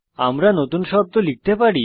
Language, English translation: Bengali, Shall we enter a new word